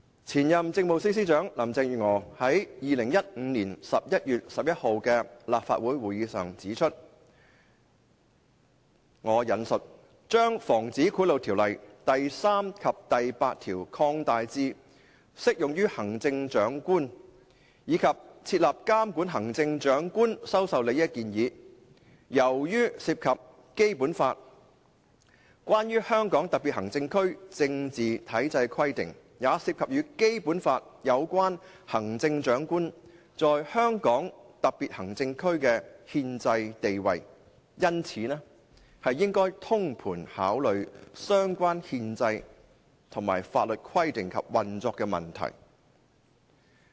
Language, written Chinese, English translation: Cantonese, 前任政務司司長林鄭月娥於2015年11月11日的立法會會議上指出，"將《防止賄賂條例》第3條及第8條擴大至適用於行政長官，以及設立監管行政長官收受利益的建議，由於涉及《基本法》關於香港特別行政區政治體制的規定，也涉及與《基本法》有關行政長官在香港特別行政區的憲制地位，因此應該通盤考慮相關憲制和法律規定及運作問題。, The former Chief Secretary for Administration Carrie LAM pointed out at the meeting of the Legislative Council on 11 November 2015 that and I quote to this effect Regarding the recommendations to extend the application of sections 3 and 8 of the Prevention of Bribery Ordinance to the Chief Executive and the establishment of a regime to oversee the Chief Executives acceptance of advantages as the requirements of the Basic Law on the political system of the Hong Kong SAR and the constitutional status of the Chief Executive in the Hong Kong SAR are involved it is advisable to consider relevant constitutional and legal requirements as well as operational issues in a holistic manner